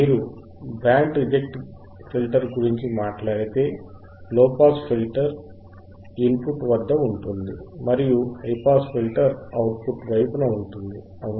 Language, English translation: Telugu, iIf you talk about band reject filter and, low pass filter is at the input and high pass filter is at the output right